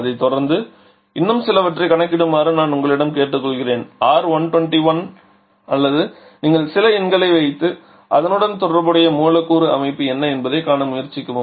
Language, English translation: Tamil, So, it is just one of several possible I would request you to calculate a few others just following the same convention say R121 or something you can just put some numbers and try to see what can be the corresponding molecular structure